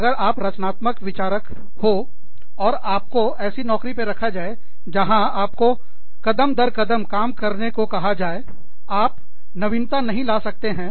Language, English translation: Hindi, If you are a creative thinker, and you are put in a job, where you are asked to do things, step by step